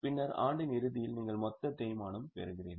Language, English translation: Tamil, So, at the beginning of the year what is a depreciation